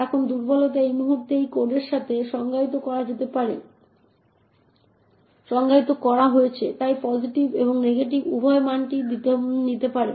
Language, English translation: Bengali, Now the vulnerability is at this point, problem with this code is that pos is defined as an integer and therefore can take both positive as well as negative values